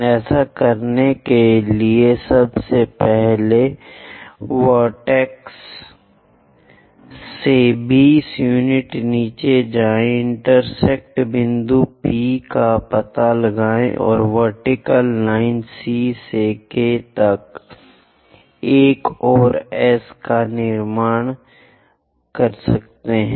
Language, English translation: Hindi, To do that; first of all, from vertex go below by 20 units, locate the intersection point P and on the vertical line C to K, locate another point S